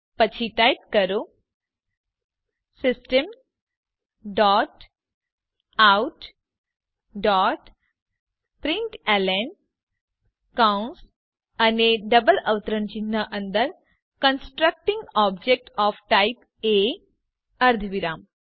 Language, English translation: Gujarati, Then type System dot out dot println within brackets and double quotes Constructing object of type A semicolon